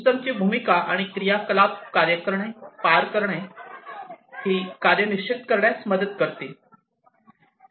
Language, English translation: Marathi, The roles and the activities of the system will help in defining the task, the tasks to be performed